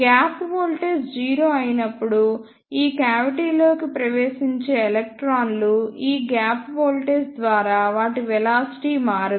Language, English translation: Telugu, And the electrons which enter this cavity when the gap voltage is 0, their velocity will not be changed by this gap voltage